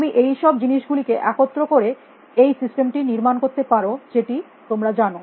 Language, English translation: Bengali, You can put all this things together and build the system, which can you know